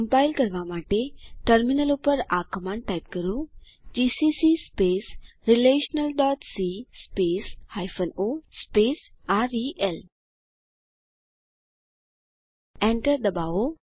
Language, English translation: Gujarati, To compile, type the following on the terminal gcc space relational dot c space o space rel Press Enter